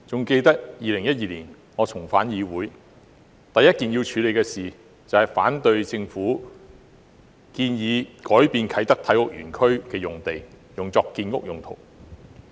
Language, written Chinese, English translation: Cantonese, 記得我在2012年重返議會時，第一項要處理的議題，就是反對政府建議將啟德體育園區用地改作建屋用途。, I remember that when I was re - elected as a Member of this Council in 2012 the first task was to oppose the Governments proposal to convert land of the Kai Tak Multi - purpose Sports Complex to land for housing construction